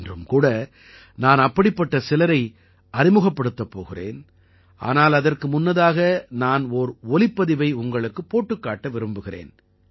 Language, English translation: Tamil, Even today I will introduce you to some such people, but before that I want to play an audio for you